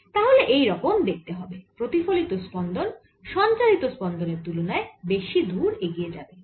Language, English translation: Bengali, the reflected pulse is going to be much farther than the transmitted pulse